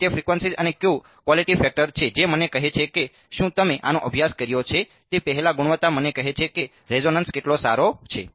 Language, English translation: Gujarati, So, that is the frequency and the Q the quality factor right that tells me if you have studied this before the quality tells me how good the resonance is